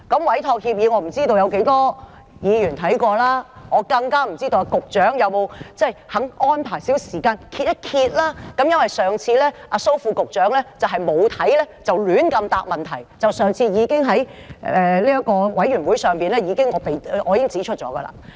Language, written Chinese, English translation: Cantonese, 我不知道有多少議員曾看過委託協議，更不清楚局長是否願意安排少許時間翻一翻，因為上次蘇副局長沒有看過便胡亂回答問題，這是我上次在小組委員會已經指出的。, I have no idea how many Members have ever read the Entrustment Agreement nor even am I certain whether the Secretary is willing to spare some time to thumb through it given that last time Under Secretary SO gave uneducated answers to questions without having read it beforehand and I already pointed this out at the last Subcommittee meeting